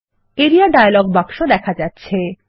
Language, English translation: Bengali, The Area dialog box is displayed